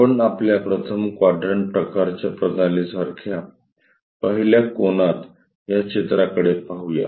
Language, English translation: Marathi, Let us look at this picture in the 1st angle our 1st quadrant kind of system